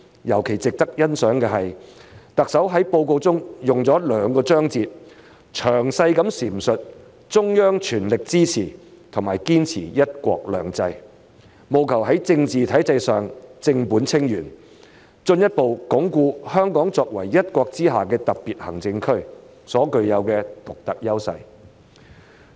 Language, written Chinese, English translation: Cantonese, 尤其值得欣賞的是，特首在報告中用了兩個章節，詳細闡述中央全力支持和堅持"一國兩制"，務求在政治體制上正本清源，進一步鞏固香港作為一國之下的特別行政區所具有的獨特優勢。, What deserves special appreciation is that the Chief Executive has devoted two chapters of the Policy Address to detailing the full support of the Central Government and the upholding of one country two systems as efforts seeking to restore Hong Kongs constitutional order and thus further consolidate the unique advantages of Hong Kong as a special administrative region under one country